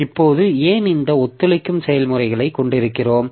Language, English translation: Tamil, Now why do we have this cooperating processes